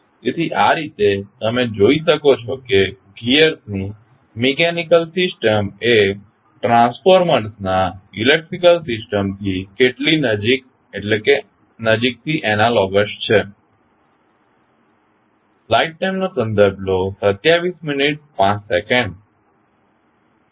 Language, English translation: Gujarati, So, in this way you can see that how closely the mechanical system of gears is analogous to the electrical system of the transformers